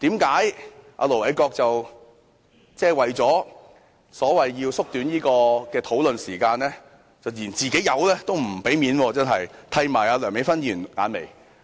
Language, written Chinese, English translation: Cantonese, 為何盧偉國議員為了縮短討論時間，竟然連"自己友"也不給面子，剃她眼眉？, Why did Ir Dr LO Wai - kwok refuse to give face to his comrade in order to shorten the discussion time?